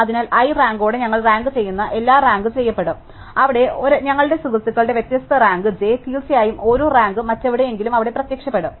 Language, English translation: Malayalam, So, everything that we rank with a rank i will be ranked where different rank j by our friend and of course, every rank will appear there somewhere or the other